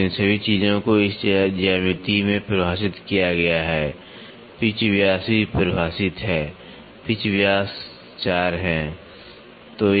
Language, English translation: Hindi, So, all these things are defined in this geometry pitch diameter is also defined pitch diameter pitch diameter is 4